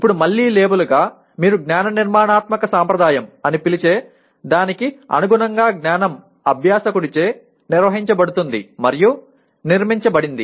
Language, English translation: Telugu, Now just again as a label, knowledge is organized and structured by the learner in line with what you call cognitivist constructivist tradition